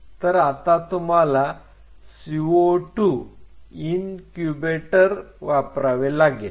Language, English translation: Marathi, So, you have to use the co 2 incubator